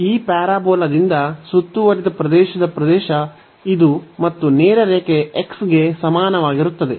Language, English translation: Kannada, This is the area of the region bounded by this parabola and the straight line y is equal to x